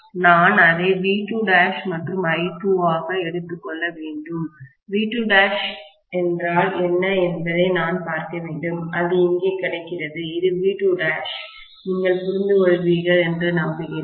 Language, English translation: Tamil, I should take it as V2 dash and I2, I have to look at what is V2 dash, V2 dash is what is available here, this is V2 dash, hope you understand